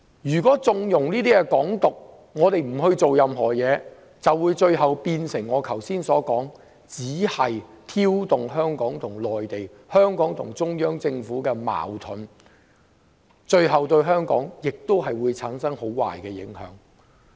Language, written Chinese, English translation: Cantonese, 如果我們縱容"港獨"，不做任何事，如我剛才所說，只會挑動香港與中央政府的矛盾，對香港亦會產生很壞的影響。, As I have just said if we connive at Hong Kong independence and do nothing about it conflicts between the Hong Kong Government and the Central Government will be created causing a terrible impact on Hong Kong